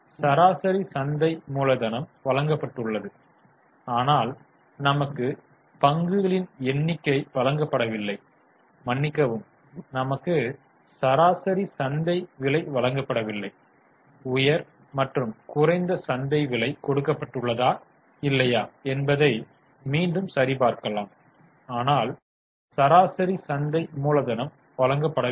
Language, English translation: Tamil, So, average market cap is given but we have not been given number of we have not been given average market price let us check again high and low market price is given but average is not given